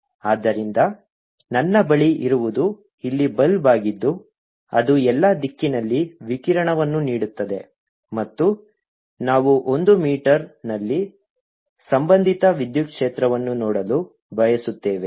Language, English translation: Kannada, so what i have is a bulk here which is giving out radiation in all the direction and we want to see at one meter, what is the associated electric field